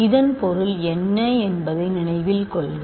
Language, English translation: Tamil, Remember what is the meaning of this